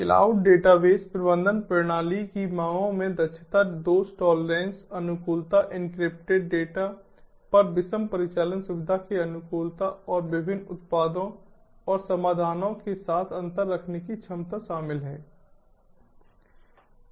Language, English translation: Hindi, the demands of cloud database management system include efficiency, fault tolerance, adaptive adaptivity to heterogeneity, operational comfort on encrypted data and keep and the ability of interfacing with different products and solutions